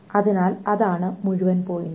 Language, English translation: Malayalam, So that is the whole point